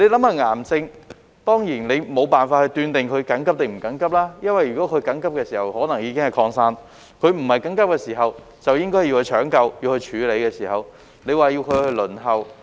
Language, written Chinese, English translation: Cantonese, 就癌症而言，你當然無法斷定是緊急或非緊急，因為如果是緊急的時候，可能已經擴散；在非緊急時就應該搶救、處理，但卻要病人輪候。, Of course we are unable to tell whether a cancer case is urgent or not . In urgent cases the cancer may have spread . Timely treatment should be administered to patients in non - urgent conditions but they have to wait